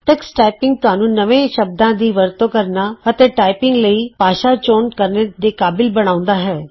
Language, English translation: Punjabi, Tuxtyping also enables you to enter new words for practice and set the language for typing